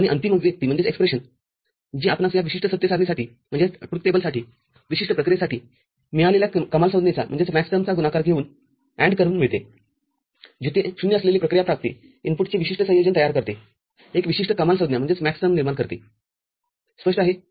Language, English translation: Marathi, And a final expression, we get for this particular truth table just by we are taking product of, taking AND of all the maxterms that you have got for a particular function, where the function output containing 0 generates that particular combination of the input, generates a specific maxterm clear